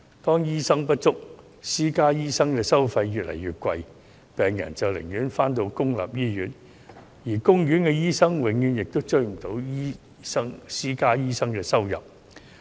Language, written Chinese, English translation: Cantonese, 當醫生人手不足，私家醫生的收費越來越貴，病人寧願到公營醫院求醫，而公營醫院醫生收入永遠追不上私家醫生的收入。, When there are insufficient doctors and the charges of private doctors are getting higher patients will seek medical treatment in public hospitals . But the income of a doctor in a public hospital can never catch up with the income of a private doctor